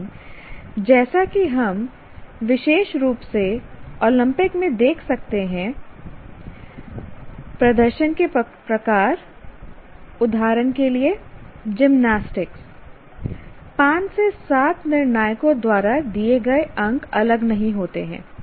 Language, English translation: Hindi, But as you can see, especially in Olympic type of performances like gymnastics and so on, the marks given by multiple judges, 5 to 7 judges give